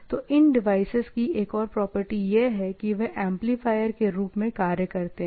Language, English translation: Hindi, So, another property usually these type of devices has, is that they are more, they acts as an amplifier